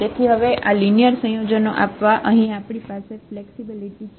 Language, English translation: Gujarati, So now, we have the flexibility to give this linear combinations here